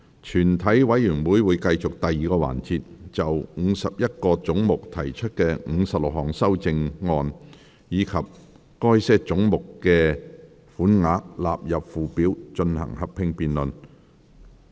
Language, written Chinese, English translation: Cantonese, 全體委員會會繼續第二個環節，就51個總目提出的56項修正案，以及該些總目的款額納入附表，進行合併辯論。, The committee will continue the second session for the joint debate on the 56 amendments to the 51 heads and the sums for such heads standing part of the Schedule